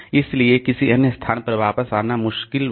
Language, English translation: Hindi, So, it is very difficult to come back to some other location